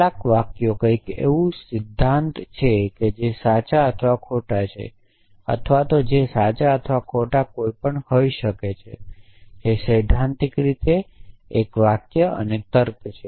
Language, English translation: Gujarati, And what is the sentences some sentences something which in principle is true or false or can be true or false anything which in principle can be true or false is a sentence and logic